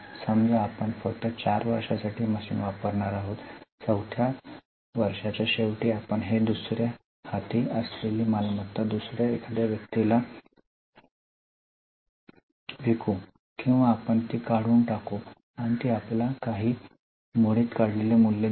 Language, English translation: Marathi, So, suppose we are going to use the machine only for four years, at the end of fourth year, we may sell it as a second hand asset to someone else or we may scrap it and it will give you some scrap value